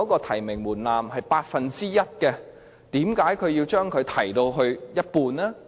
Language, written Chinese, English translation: Cantonese, 提名門檻本來是 1%， 為何要提高至一半？, What is the reason for raising the nomination threshold originally set at 1 % to 50 % ?